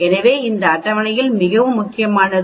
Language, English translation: Tamil, So this table is very important